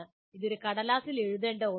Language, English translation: Malayalam, This is not just some something to be written on a piece of paper